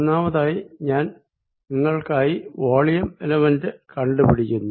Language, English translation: Malayalam, third, i am going to find for you the volume element